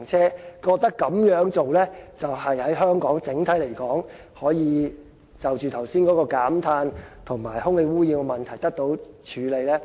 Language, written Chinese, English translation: Cantonese, 政府認為這樣對香港整體——剛才所說的——減碳及空氣污染問題可以得到處理。, The Government thinks the switch to EVs would reduce carbon emissions and resolve the overall air pollution problem